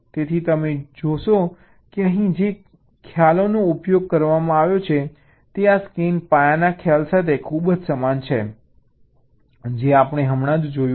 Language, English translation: Gujarati, so you see that the concepts which are used here are very similar to this scan path concept that we had seen just earlier